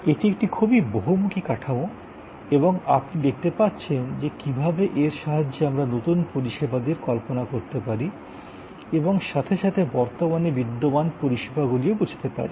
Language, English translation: Bengali, This is a very versatile frame work, with these five blocks and you can see that how we can conceive new services as well as understand existing services in terms of these five blocks